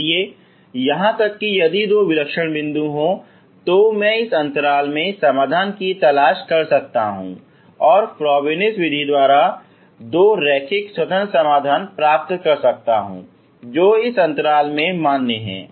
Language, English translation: Hindi, So even there if these are the two singular points I can look for solution in this interval and I can get two linear independent solutions by the febonacci method in this which is valid in this interval